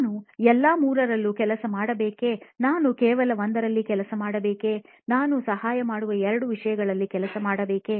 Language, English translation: Kannada, Should I work on all 3, should I work on only 1, should I work on 2 some things that to help o